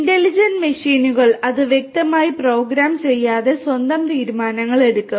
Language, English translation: Malayalam, Intelligent machines, which will make take their own decisions without being explicitly programmed to do so